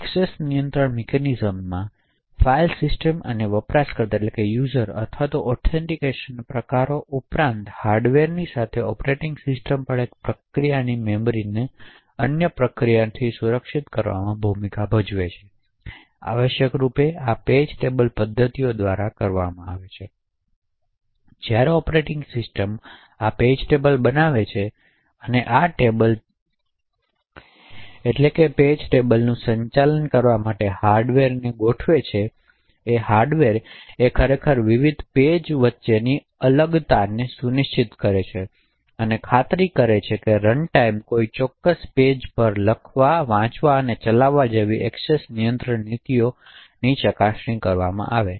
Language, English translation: Gujarati, In addition to the file system and user or authentication type of access control mechanisms, operating systems along with the hardware also plays a role in protecting one processes memory from other processes, so essentially this is done by the page table mechanisms, while the operating system creates this page tables and configures the hardware to manage this table page tables, it is the hardware which actually ensures the isolation between the various pages and also ensures that the access control policies such as read, write and execute to a particular page is verified at runtime